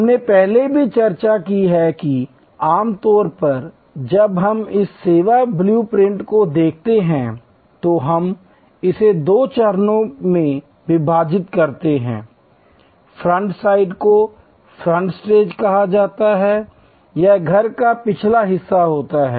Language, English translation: Hindi, We have also discussed earlier, that normally when we look at this service blue print, we divide it in two stages, the front side is called the front stage, this is the back of the house